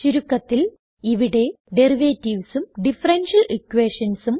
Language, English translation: Malayalam, Let us now learn how to write Derivatives and differential equations